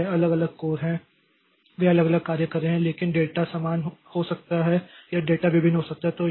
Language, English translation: Hindi, So, this individual course, so they are doing different tasks, but the data may be same or data may be different